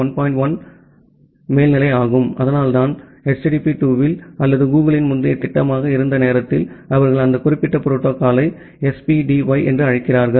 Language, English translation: Tamil, 1, so that is why in HTTP 2 or sometime that was a earlier proposal from Google, they call that particular protocol as SPDY